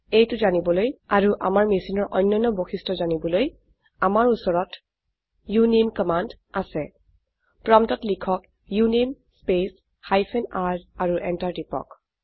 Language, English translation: Assamese, To know this and many other characteristics of our machine we have the uname command.Type at the prompt uname space hyphen r and press enter